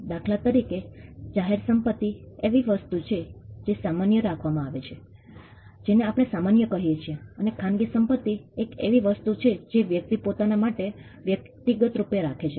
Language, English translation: Gujarati, For instance, public property is something which is held in common, what we call the commons and private property is something which a person holds for himself individually